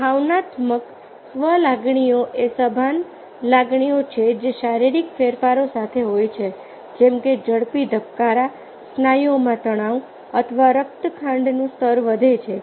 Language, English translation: Gujarati, emotion are conscious feelings that are accompanied by physiological changes, such as a rapid heartbeat, tensed muscles or raised blood sugar level